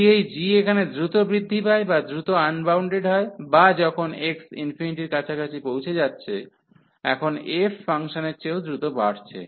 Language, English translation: Bengali, If this g is the meaning here is that g is growing faster or getting unbounded faster here or to when x approaching to infinity, now going growing faster than the f function